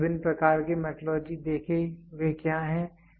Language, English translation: Hindi, We saw different types of metrology, what are they